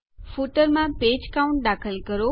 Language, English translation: Gujarati, Insert Page Count in the footer